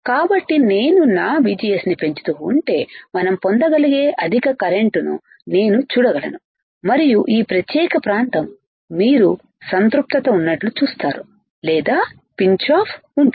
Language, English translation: Telugu, So, if I keep on increasing my VGS I can see the higher current we can obtain, and this particular region you will see that there is a saturation or pinch off region right